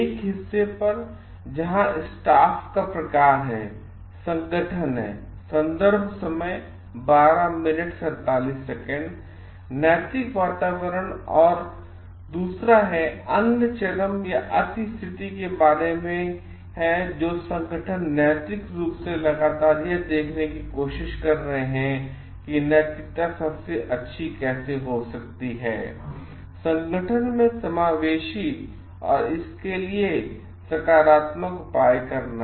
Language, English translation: Hindi, At one part where staff type of organizations are about the ethical climate and other extreme are organizations which are moral proactively trying to see how ethics can best be incorporative in the organization and taking positive measures for it